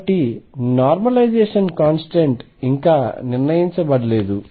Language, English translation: Telugu, So, normalization constant is yet to be determined